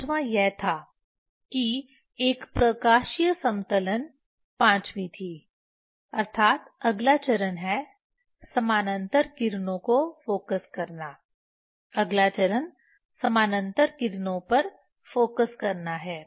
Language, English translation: Hindi, Fifth one was that one optical leveling was fifth one that is the next step is focusing for parallel rays next step is focusing for parallel rays